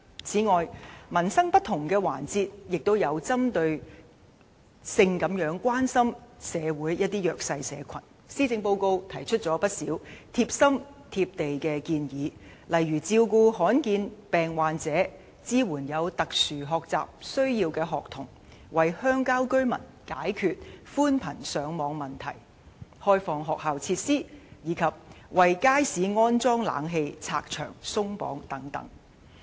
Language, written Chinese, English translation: Cantonese, 此外，針對民生的不同環節，施政報告亦關心社會上一些弱勢社群，提出了不少貼心、"貼地"的建議，例如照顧罕見病患者、支援有特殊學習需要的學童、為鄉郊居民解決寬頻上網問題、開放學校設施，以及為街市安裝冷氣的問題"拆牆鬆綁"。, Concerning different aspects of peoples livelihood the Policy Address is also concerned about the underprivileged in the community and introduces many caring and down - to - earth proposals such as caring for patients with uncommon diseases supporting children with special educational needs resolving broadband access problem of people living in villages and remote locations opening up school facilities and removing obstacles for installing air - conditioning systems in markets